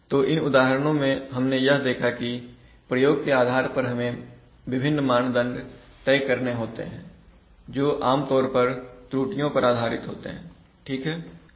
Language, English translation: Hindi, So in these examples we see that depending on the application we have to choose different performance criteria based on, typically based on errors, right